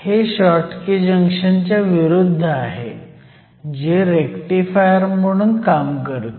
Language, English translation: Marathi, This is opposite to a Schottky Junction, which we saw earlier behaves like a rectifier